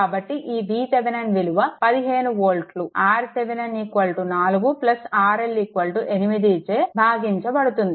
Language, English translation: Telugu, So, that that one V Thevenin is your 15 volt divided by R Thevenin is 4 plus it is 8